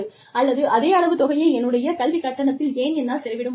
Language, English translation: Tamil, Or, why cannot I, spend the same amount of money, on my education fees